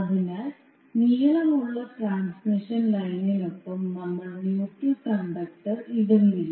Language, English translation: Malayalam, So we do not lay the neutral conductor along the long transmission line